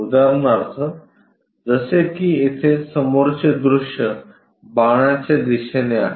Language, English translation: Marathi, For example like, here the front view is given by arrow direction